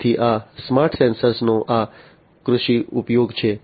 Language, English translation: Gujarati, So, this is this agricultural use of smart sensors